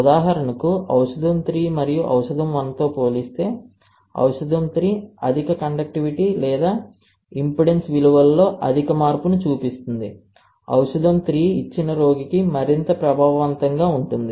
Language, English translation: Telugu, For example, if the drug 3 shows higher conductivity or higher change in impedance values compared to drug 2 and drug 1, then the 3 would be more effective for the given patient